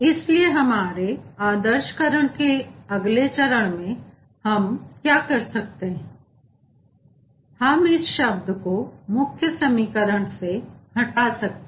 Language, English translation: Hindi, so in the next phase of simplification or idealization, what we can do, we can delete this term from this equation